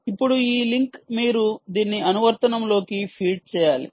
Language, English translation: Telugu, now this link is the one that you have to feed